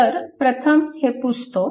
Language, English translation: Marathi, So, first let me clear it